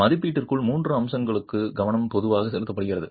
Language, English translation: Tamil, Focus is typically paid to three aspects within assessment